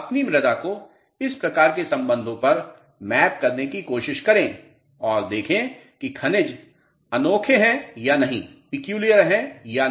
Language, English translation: Hindi, Try to map your soil on this type of relationship and see whether the minerals are peculiar or not